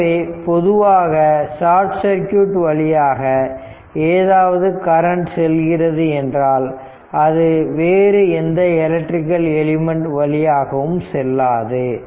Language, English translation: Tamil, So, if generally any source any current flow through the short circuit, it will not go to any your what you call any other electrical element